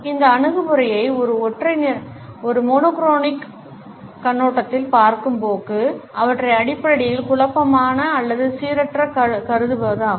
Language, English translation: Tamil, The tendency to view this attitude from a monochronic perspective is to view them as basically chaotic or random